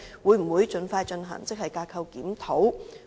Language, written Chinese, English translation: Cantonese, 會否盡快進行職系架構檢討？, Will the authorities expeditiously carry out the Grade Structure Reviews?